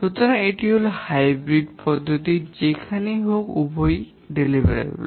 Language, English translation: Bengali, So, this is a hybrid approach where which is having both deliverable based